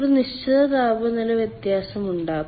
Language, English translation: Malayalam, there will be certain temperature difference